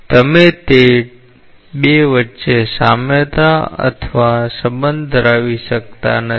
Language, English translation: Gujarati, So, you cannot have a analogy or relationship between those 2